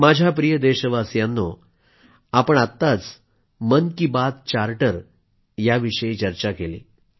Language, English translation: Marathi, My dear countrymen, we touched upon the Mann Ki Baat Charter